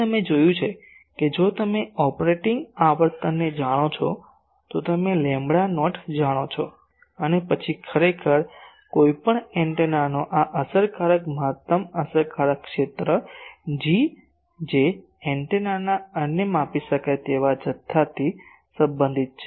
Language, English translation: Gujarati, So, you see that if you know the operating frequency, you know lambda not and then actually this effective maximum effective area, of any antenna is related to another measurable quantity of the antenna that is G